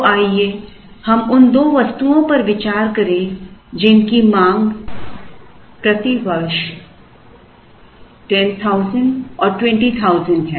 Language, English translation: Hindi, So, let us consider 2 items whose demands D are 10,000 and 20,000 per year